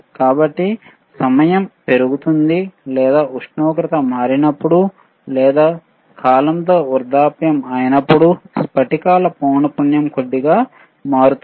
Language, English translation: Telugu, So, as the time increases, or or when did when the temperature is changed, or when it is aging by thiswith time, then the frequency of the crystals, tends to change slightly